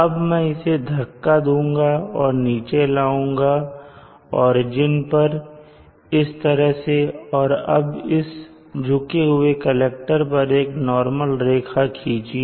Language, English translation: Hindi, I will now push and try to bring it down to the origin like this and also now let us draw a line normal to this tilted collector